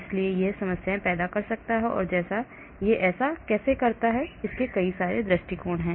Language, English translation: Hindi, so it can create problems so how do they do that, there are several approaches